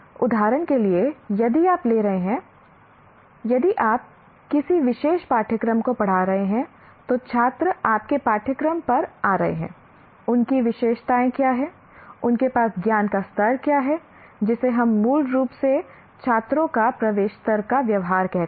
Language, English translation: Hindi, For example, if you are taking, if you are teaching a particular course, the students who are coming to your course, what are their characteristics, what is the level of knowledge they have, what that we call basically entry level behavior of the students